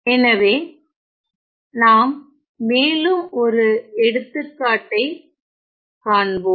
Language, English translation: Tamil, So, let me show you another example